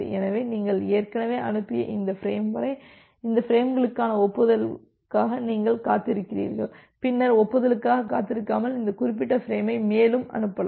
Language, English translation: Tamil, So, up to this frame you have already sent and you are waiting for the acknowledgement for these frames and then you can send this particular frame further without waiting for anymore acknowledgement